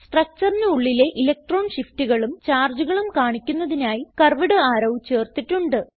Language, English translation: Malayalam, I had added curved arrows and charges to show electron shifts within the structures